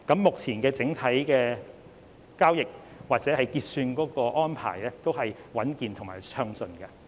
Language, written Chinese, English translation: Cantonese, 目前整體交易或結算安排都是穩健和暢順的。, Overall speaking the transaction or clearing arrangements are sound and smooth